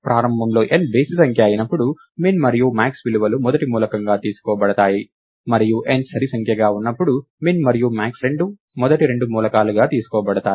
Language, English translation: Telugu, Initially the values, when n is odd min and max are taken to be the first element, and when n is even min and max are taken to be the first two elements